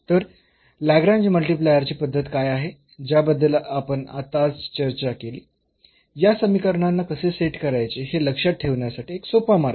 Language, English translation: Marathi, So, what is the method of the Lagrange multiplier which we have just discussed we can there is a way to remember easily how to set up these equations